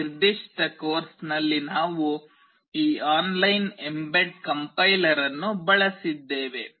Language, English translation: Kannada, In this particular course we have used this online mbed compiler